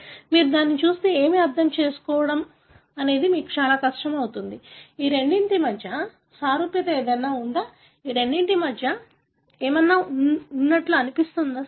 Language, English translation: Telugu, If you look at it, it would be very difficult for you to understand what is the, is there anything similar between these two, is there anything that is not similar between these two